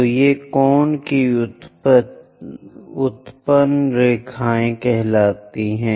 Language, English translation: Hindi, So, these are called generated lines of the cone